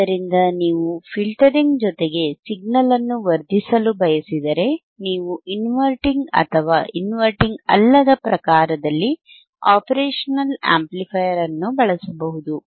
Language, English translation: Kannada, So, if you want to amplify the signal along with filtering, you can use the operational amplifier in inverting or non inverting type